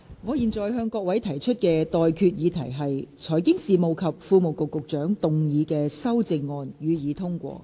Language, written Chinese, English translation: Cantonese, 我現在向各位提出的待決議題是：財經事務及庫務局局長動議的修正案，予以通過。, I now put the question to you and that is That the amendments moved by the Secretary for Financial Services and the Treasury be passed